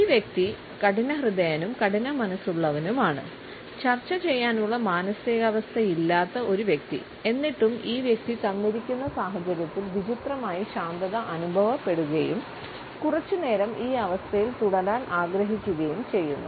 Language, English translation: Malayalam, This person comes across is a stubborn and tough minded person; a person who is not in a mood to negotiate yet in the given situation feels strangely relaxed and wants to stay in this situation for a little while